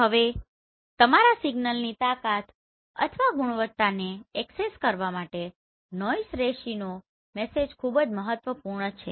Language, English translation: Gujarati, Now the signal to noise ratio this is very important to assess the strength or the quality of your signal